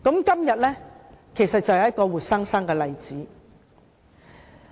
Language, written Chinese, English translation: Cantonese, 今天便是一個活生生的例子。, The matter in question today is an actual example